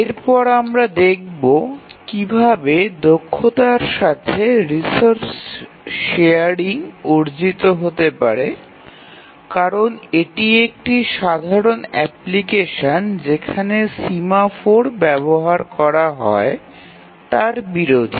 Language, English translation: Bengali, And then we will see that how can resource sharing be efficiently achieved in a real time application because we will see that its contrast to an ordinary application where we use semaphores